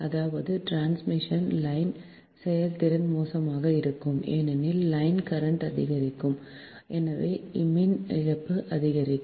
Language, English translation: Tamil, that means transmission line efficiency will be poor because line current will increase and therefore power loss will increase